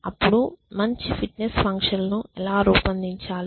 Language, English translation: Telugu, Then how to devise a good fitness functions